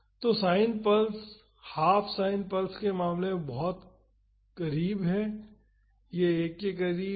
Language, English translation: Hindi, So, in the case of sine pulse half sine pulse this is much lower this is close to 1